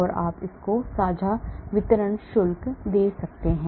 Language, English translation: Hindi, it can give you the charge distribution shared